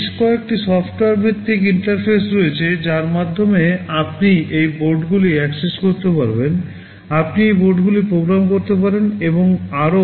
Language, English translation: Bengali, There are several software based interfaces through which you can access these boards, you can program these boards, and so on